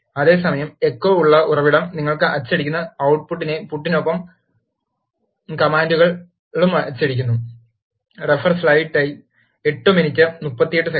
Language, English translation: Malayalam, Whereas, source with echo prints the commands also, along with the output you are printing